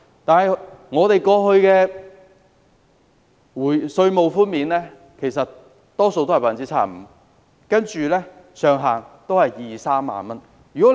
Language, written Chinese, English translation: Cantonese, 然而，本港過去的稅務寬免比率多數是 75%， 上限是兩三萬元。, That said tax reduction offered by Hong Kong in the past was mostly 75 % with a ceiling of 20,000 to 30,000